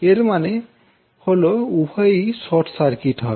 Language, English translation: Bengali, It means that both of them will be short circuited